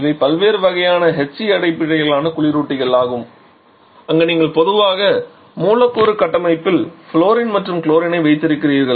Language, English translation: Tamil, These are different kinds of HCBS refrigerants where you generally have fluorine and chlorine in the molecular structure present